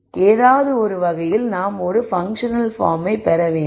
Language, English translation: Tamil, So, in some sense we have to get a functional form